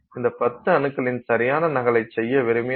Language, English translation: Tamil, If I want to make an exact copy of these 10 atoms, right